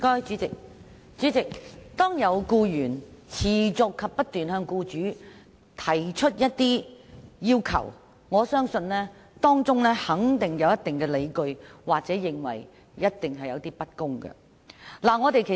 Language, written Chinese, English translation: Cantonese, 主席，如有僱員持續不斷向僱主提出一些要求，我相信僱員有一定的理據或感覺受到不公對待。, President if employees keep making certain requests I believe they must have some grounds or they feel being unfairly treated by employers